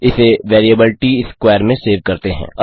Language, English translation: Hindi, This is saved into the variable Tsquare